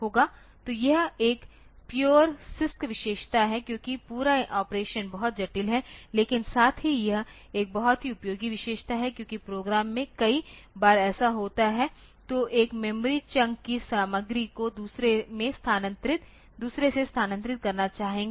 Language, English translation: Hindi, So, this is a pure CISC feature because the whole operation is very complex, but at the same time this is a very useful feature because many a time in the program so, would like to move the content of one memory chunk to another that way will be very often requiring this type of operation